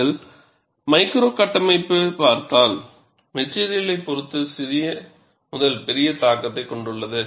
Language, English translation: Tamil, And if you look at, the micro structure has small to large influence depending on the material